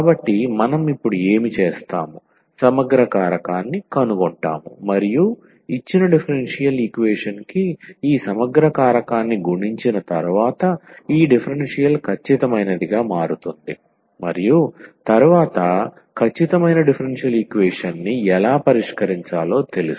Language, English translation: Telugu, So, what we will do now, we will find the integrating factor and once we multiply this integrating factor to the given differential equation then this equation will become exact and then we know how to solve the exact differential equation